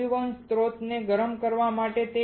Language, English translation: Gujarati, To heat the evaporation source